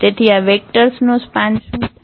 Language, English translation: Gujarati, So, what is the span of these vectors